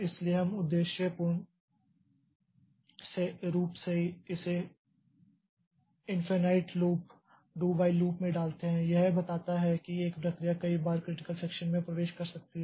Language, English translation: Hindi, So, we purposefully put it in a due infinite loop, do while loop, telling that a process can enter into the critical section several times